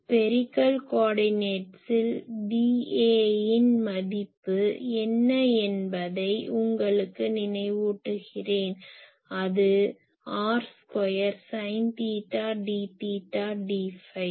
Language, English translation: Tamil, For that I will remind you that what is the value of d A in the spherical co ordinate it is r square sin theta , d theta , d phi